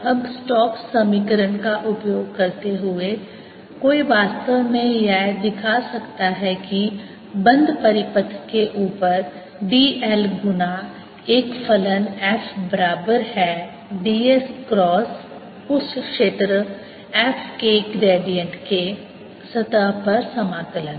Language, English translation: Hindi, now, using stokes theorem one can actually show that d l times a function f over a close circuit is equal to d s cross gradient of that field